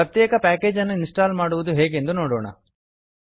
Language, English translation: Kannada, Let us see how to install a particular package